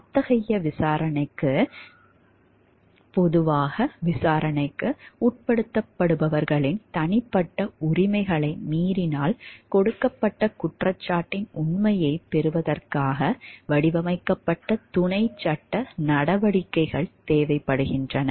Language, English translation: Tamil, Such an investigation generally requires paralegal proceedings designed to get the truth for a given charge without violating the personal rights of those being investigated